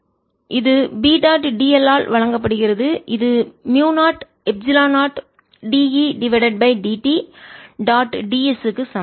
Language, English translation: Tamil, so which is given by b dot d l, this is equal to mu naught, epsilon naught, d e by d t dot d s